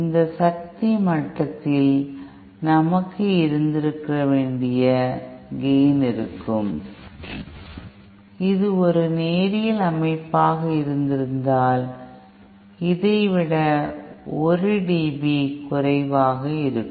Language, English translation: Tamil, At this power level we will have the gain which should have been, had it been a perfectly linear system then this would have been the gain, 1 dB less than this